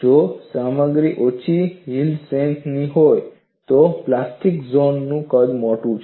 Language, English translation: Gujarati, If the material is of low yield stress, the size of the plastic zone is large